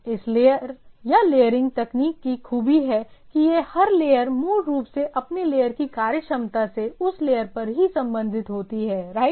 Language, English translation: Hindi, The beauty of this layer or the layering technique is that every layer basically concerned with the functionality of its peer at that layer only, right